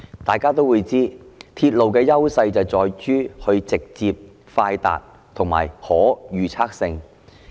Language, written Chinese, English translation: Cantonese, 大家都知道，鐵路的優勢在於直接、快達及具可預測性。, As we all know the advantage of railways is that they are direct quick and predictable